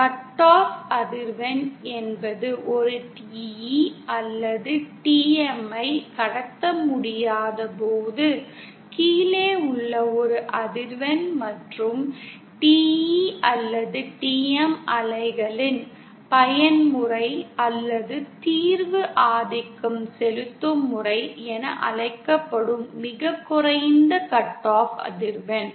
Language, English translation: Tamil, Cut off frequency means a frequency below which a TE or TM when cannot transmit and the mode or that solution of the TE or TM wave which has the lowest cut off frequency that is known as the dominant mode